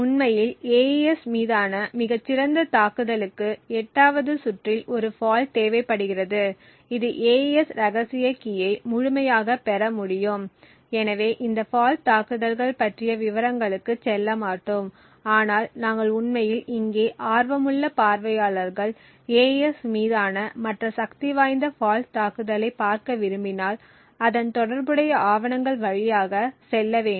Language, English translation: Tamil, In fact the best known attack on AES just requires a single fault present in the 8th round which can completely obtain the AES secret key, so will not go into details about these fault attacks but we will actually stop over here and leave it to the interested viewers to actually go through the relevant papers to look at the other more powerful fault attacks on AES